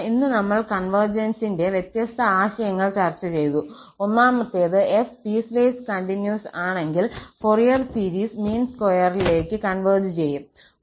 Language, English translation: Malayalam, And then, just to conclude that today we have discussed different notion of convergence, the one was that if f is piecewise continuous, then the Fourier series converges in the mean square sense